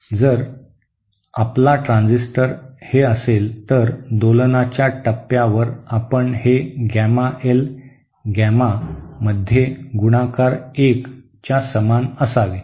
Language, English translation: Marathi, If your transistor is this, then at the point of oscillation you should have this Gamma L multiplied by Gamma in should be equal to 1